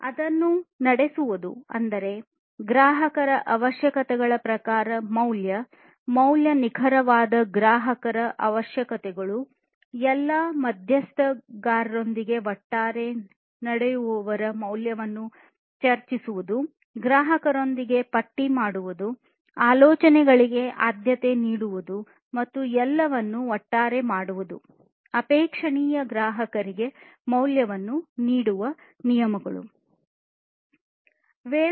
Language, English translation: Kannada, Walking it, that means, discuss the value, value in terms of the customer requirements, precise customer requirements, discussing the value of those walking together, walking together with all stakeholders walking together with the customer and so on, listing and prioritizing ideas and doing everything together is what is desirable in terms of offering the value to the customer